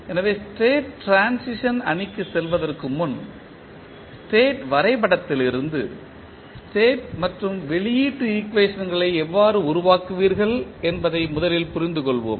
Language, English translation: Tamil, So, before going into the state transition matrix, let us first understand how you will create the state and output equations from the state diagram